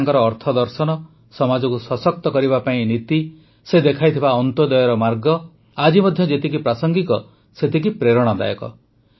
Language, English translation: Odia, His economic philosophy, his policies aimed at empowering the society, the path of Antyodaya shown by him remain as relevant in the present context and are also inspirational